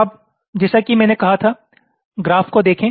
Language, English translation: Hindi, now let us look at the graph, as i had said